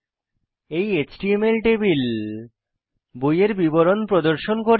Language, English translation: Bengali, This HTML table will display details of the books